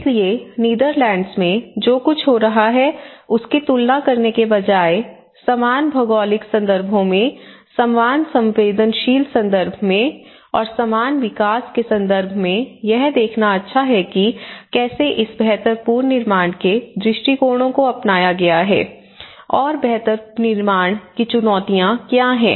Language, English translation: Hindi, So, instead of comparing with something what is happening in Netherlands, it is good to see in a similar geographies, in the similar vulnerable context and a similar development context how these build back better approaches have been adopted and what are the challenges to build back better